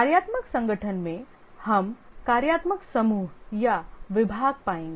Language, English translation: Hindi, In the functional organization, we will find functional groups or departments